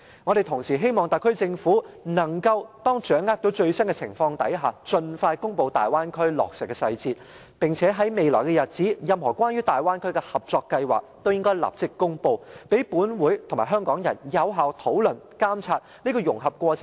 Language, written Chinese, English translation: Cantonese, 我們同時希望特區政府，當掌握到最新的情況時，盡快公布大灣區計劃的落實細節；並且在未來日子裏，在得知任何關於大灣區的合作計劃後，都立即公布，讓本會和香港人有效討論及監察這個融合過程，對香港的利和弊。, Also we hope that the SAR Government can release the implementation details of the Bay Area project as soon as it has a grasp of the latest situation . We also hope that in the future the Government will make immediate public announcement when any cooperation projects concerning the Bay Area has come to its knowledge . In this way this Council and Hong Kong people can meaningfully discuss and monitor the integration process as well as its merits and demerits as regards Hong Kong